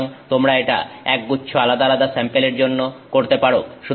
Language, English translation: Bengali, So, this you can do for a bunch of different samples